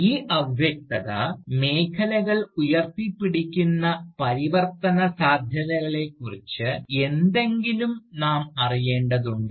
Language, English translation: Malayalam, We need to know something, about the transformative possibilities, that these zones of vagueness, hold out